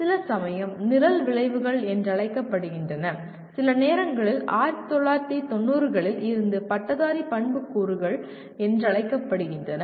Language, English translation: Tamil, Some called as Program Outcomes, sometimes called Graduate Attributes since 1990s